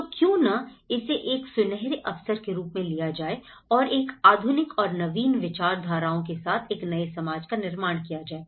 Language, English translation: Hindi, So, why not take this as a golden opportunity and how we can build a society with these modernistic philosophies and ideologies